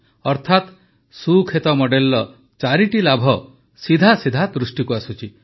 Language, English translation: Odia, Therefore, there are four benefits of the Sukhet model that are directly visible